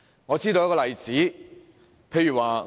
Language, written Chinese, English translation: Cantonese, 我列舉一些例子說明。, Let me cite some examples for illustration